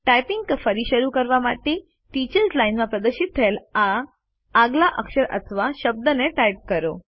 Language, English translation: Gujarati, To resume typing, type the next character or word, displayed in the Teachers line